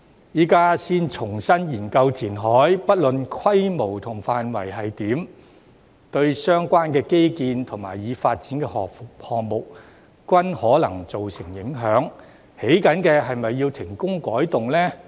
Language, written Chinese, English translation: Cantonese, 現在才重新研究填海，不論規模和範圍為何，對相關基建及已發展項目均可能造成影響，正在興建的是否要停工改動呢？, Re - examining the reclamation at this stage regardless of its scale and scope may have an impact on the relevant infrastructure and developed projects . Should the projects under construction be suspended and amended?